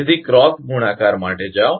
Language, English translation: Gujarati, So, go for cross multiplication